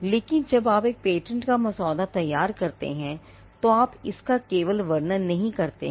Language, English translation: Hindi, But in patent parlance when you draft a patent, you are not going to merely describe it is appearance